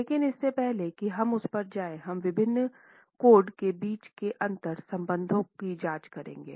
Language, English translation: Hindi, But before we go to that, we will examine the interconnection between the different codes